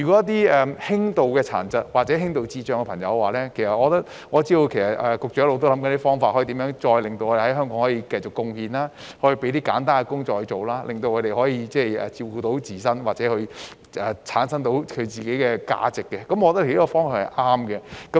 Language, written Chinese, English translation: Cantonese, 在輕度殘疾或智障人士方面，我知道局長一直在想方法讓他們在香港繼續作出貢獻，例如為他們安排簡單的工作，讓他們可以照顧自己，培養自我價值，我認為這方向是對的。, Regarding persons with mild disabilities or intellectual disabilities I know the Secretary has been figuring out ways to let them continue to contribute to Hong Kong such as by arranging simple work for them so that they can take care of themselves and foster self - worth . I think this is the right direction